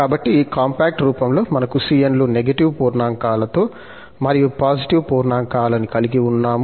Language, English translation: Telugu, So, in this compact form, we have all c's with negative integers and also for positive integers